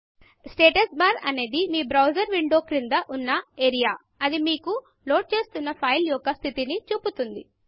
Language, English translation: Telugu, The Status bar is the area at the bottom of your browser window that shows you the status of the site you are loading